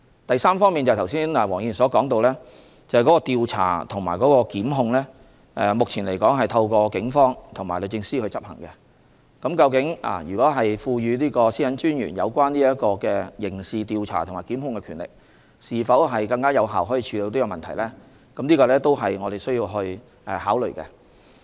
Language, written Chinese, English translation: Cantonese, 第三，黃議員剛才提到調查和檢控的工作，目前這些工作是透過警方和律政司執行的，但賦予專員刑事調查和檢控的權力能否更有效地處理問題呢？這也是我們需要考慮的。, Third just now Mr WONG mentioned the work about investigation and prosecution . Such work is now carried out by the Police and the Department of Justice DoJ yet we have to consider whether conferring the power of conducting criminal investigation and prosecution on the Commissioner will result in more effective tackling of the problem